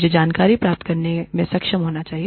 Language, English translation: Hindi, I have to be able, to dig out information